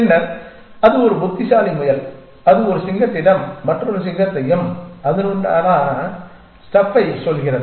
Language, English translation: Tamil, And then he is a smart rabbit and he tells a lion of another lion and that kind of stuff